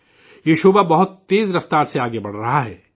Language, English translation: Urdu, This sector is progressing very fast